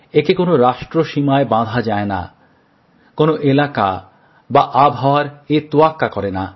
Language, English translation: Bengali, It is not confined to any nation's borders, nor does it make distinction of region or season